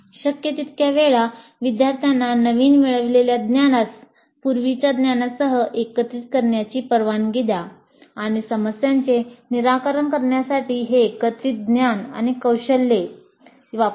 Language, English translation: Marathi, So as often as possible, allow the students to combine the newly acquired knowledge with the earlier knowledge and use this combined knowledge and skills to solve problems